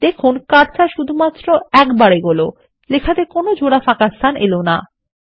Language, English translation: Bengali, You see that the cursor only moves one place and doesnt allow double spaces in the text